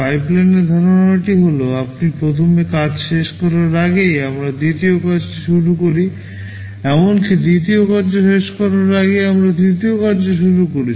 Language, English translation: Bengali, In pipelining the concept is that even before you finish the first task, we start with the second task, even before we finish the second task we start the third task